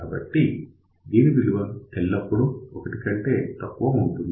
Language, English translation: Telugu, And if you take smaller value than 1